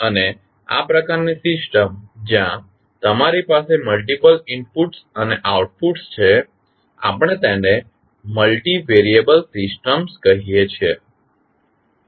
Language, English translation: Gujarati, And this type of system where you have multiple inputs and outputs we call them as multivariable systems